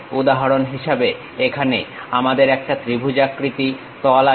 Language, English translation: Bengali, For example, here we have a triangular face